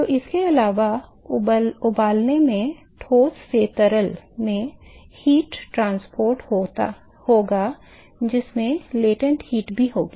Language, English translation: Hindi, So, heat transport from let us say solid to liquid will also have latent heat